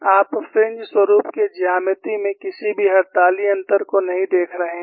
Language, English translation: Hindi, There is no major change in the geometry of the fringe pattern